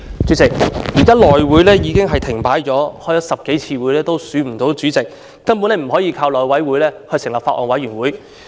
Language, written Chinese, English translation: Cantonese, 主席，現時內務委員會已經停擺了，開了10多次會議也未能選出主席，根本不能夠由內務委員會成立法案委員會。, President the House Committee is currently at a standstill . The Chairman could not be elected after more than 10 meetings thus Bills Committees cannot be formed under the House Committee